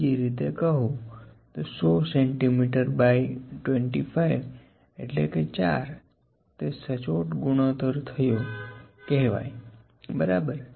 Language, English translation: Gujarati, In other way 100 centimetres by 25 centimetres is 4 it is exactly the ratio is here, ok